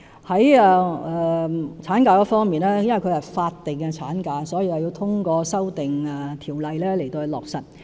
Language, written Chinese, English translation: Cantonese, 在產假方面，由於它是法定產假，所以要透過修訂法例落實。, Insofar as maternity leave is concerned as it is statutory the extension must be effected through legislative amendments